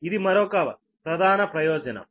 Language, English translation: Telugu, this is a major advantage, right